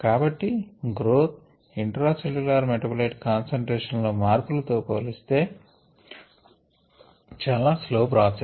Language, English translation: Telugu, so this is the slow process, growth compared to the, the process of intracellular metabolite concentration changes